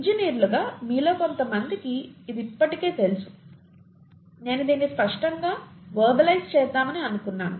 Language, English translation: Telugu, As engineers, some of you would know this already I just thought I will verbalise this clearly